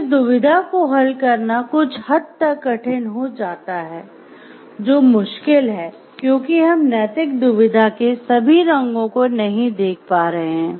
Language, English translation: Hindi, Then solving this dilemma becomes a somewhat which your difficult because, we may not be able to see the all the shades of the moral dilemma that is happening